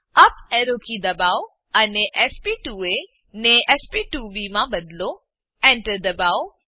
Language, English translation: Gujarati, Press up arrow key and change sp2a to sp2b, press Enter